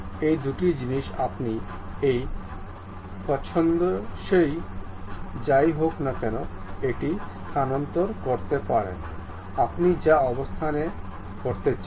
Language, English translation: Bengali, These two things, you can really move it whatever the desired location you would like to have in that way